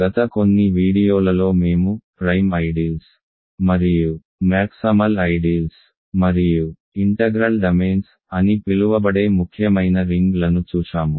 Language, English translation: Telugu, In the last few videos we looked at a prime ideals and maximal ideals and an important class of rings called integral domains